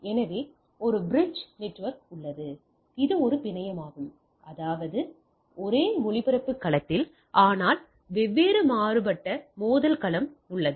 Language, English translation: Tamil, So, I we have a bridge network which is a single network; that means, in the same broad cast domain, but different collision domain right